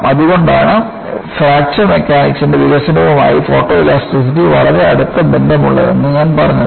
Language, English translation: Malayalam, So, that is why I said, photoelasticity is very closely linked to development of Fracture Mechanics